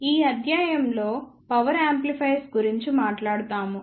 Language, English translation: Telugu, In this lecture we will talk about Power Amplifiers